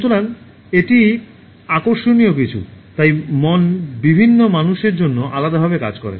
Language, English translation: Bengali, So that is something interesting, so mind works differently for different people